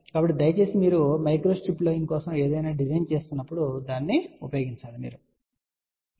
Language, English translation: Telugu, So, please use that when you are designing something for microstrip line